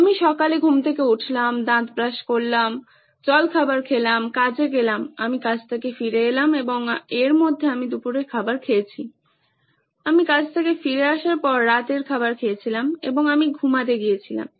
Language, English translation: Bengali, I woke up in the morning, I brush my teeth, I had my breakfast, I went to work, I came back from work and I had lunch in between, I had dinner after I came back from work and I went to bed